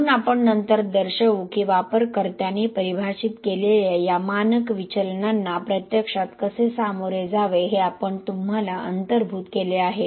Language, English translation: Marathi, So we will show later that we have incorporated you know how to actually deal with these standard deviations which could be user defined